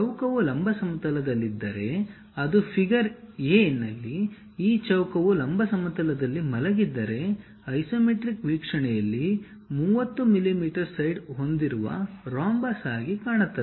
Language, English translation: Kannada, If the square lies in the vertical plane, it will appear as a rhombus with 30 mm side in the isometric view in figure a; it looks likes this, if this square is lying on the vertical plane